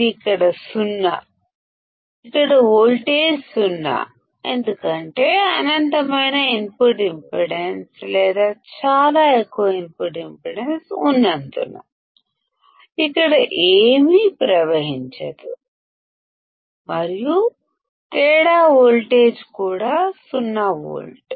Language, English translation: Telugu, It is 0 here; here the voltage is 0 because nothing will flow here as it is of infinite input impedance or a very high input impedance and the difference voltage is also 0 volt